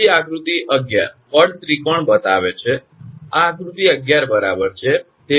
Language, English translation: Gujarati, So, figure 11 shows the force triangle, this is the figure 11 right